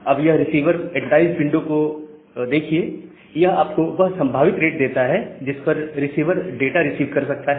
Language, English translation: Hindi, Now, the receiver advertised window size that gives you the possible rate at which the receiver can receive the data